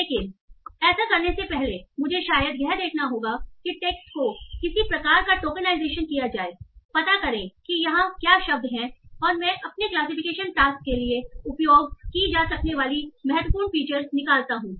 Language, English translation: Hindi, So but before doing that I will probably have to see given the text I do some sort of tokenization find out what are the words here and I extract what are the important features that I can use for my classification task